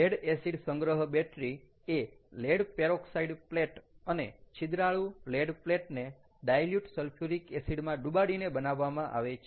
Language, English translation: Gujarati, the lead acid storage battery is formed by dipping lead peroxide plate and sponge lead plate in dilute sulfuric acid